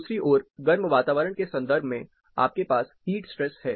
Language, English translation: Hindi, On the other hand, with respect to hotter environments, you have the heat stress